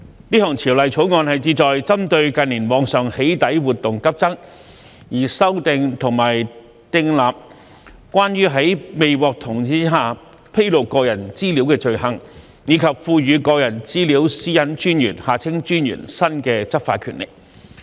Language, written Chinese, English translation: Cantonese, 這項條例草案旨在針對近年網上"起底"活動急增，修訂和訂立關於在未獲同意下披露個人資料的罪行，以及賦予個人資料私隱專員新的執法權力。, This Bill seeks to amend and enact legislation against offences relating to disclosing personal data without consent and confer new law enforcement power upon the Privacy Commissioner for Personal Data in response to the surge in doxxing activities on the Internet in recent years . Deputy President under the existing Personal Data Privacy Ordinance Cap